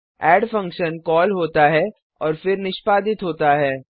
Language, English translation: Hindi, The add function is called and then executed